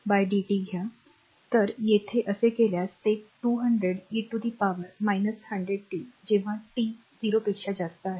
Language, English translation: Marathi, So, here if you do so, then it will be 200 e to the power minus 100 t for t greater than 0